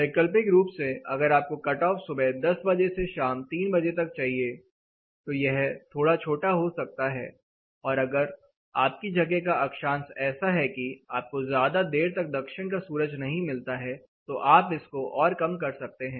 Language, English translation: Hindi, Alternately if you want the cut off only from 10 o’clock in the morning to the 3 o’clock in the evening this can be shorter or if the latitude of the place you do not get deep southern sun, this can be lower